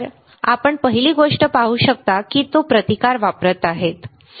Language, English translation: Marathi, So, you can see the first thing that he is doing is he is using the resistance, right